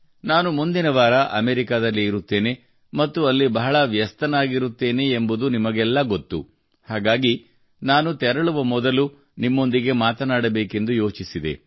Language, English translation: Kannada, All of you know, I'll be in America next week and there the schedule is going to be pretty hectic, and hence I thought I'd talk to you before I go, what could be better than that